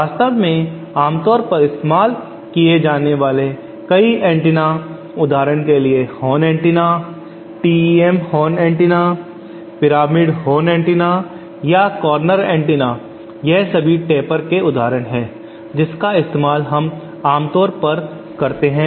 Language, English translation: Hindi, In fact many of the commonly used antennas are tapers for example horn antenna, TEM horn antenna or pyramidal horn antenna or the corner antenna they all are examples of tapers that we used in commonly